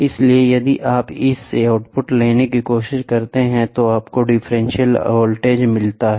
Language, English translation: Hindi, So, if you try to take an output from this you get the differential voltage